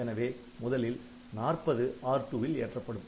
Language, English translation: Tamil, So, the 40 will be loaded into R2